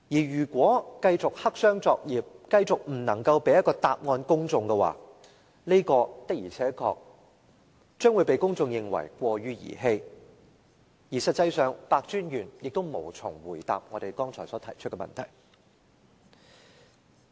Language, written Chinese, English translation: Cantonese, 如果繼續黑箱作業、繼續未能給予公眾答案的話，公眾的確會認為過於兒戲，而實際上白專員也無從回答我們剛才提出的問題。, If ICAC continues with its clandestine operation and its refusal to answer questions from the public the public will think that its operation is too haphazard . And in fact Commissioner PEH has failed to answer the questions we have just raised